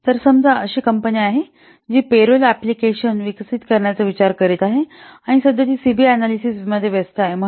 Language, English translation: Marathi, So, suppose there is a company which is planning to develop a payroll application and now currently it is engaged in CB analysis